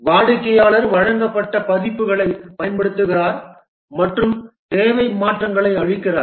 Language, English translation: Tamil, The customer uses the delivered versions and gives requirement changes